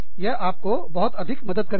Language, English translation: Hindi, That, will help you tremendously